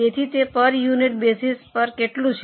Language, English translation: Gujarati, So, how much it is on a per unit basis